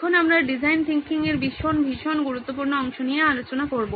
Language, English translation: Bengali, Now we are going into a very, very important part of design thinking